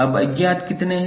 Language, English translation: Hindi, Now, unknowns are how many